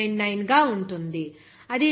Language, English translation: Telugu, 999, that will be equal to 0